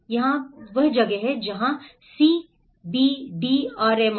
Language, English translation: Hindi, That is where the CAM and CBDRM